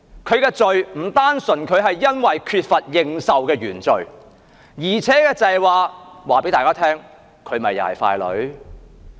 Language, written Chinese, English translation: Cantonese, 她的罪並不單純是因為她缺乏認受的原罪，而是也告訴大家，她同樣也是傀儡。, Her guilt does not lie simply in the original sin of lacking a popular mandate but in showing all people that she too is a puppet